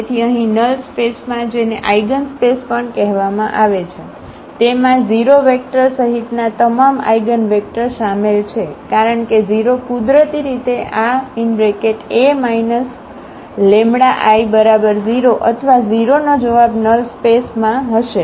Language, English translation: Gujarati, So, here in the null space which is also called the eigenspace, it contains all eigenvectors including 0 vector because 0 is naturally the solution of this A minus lambda I x is equal to 0 or 0 will be there in the null space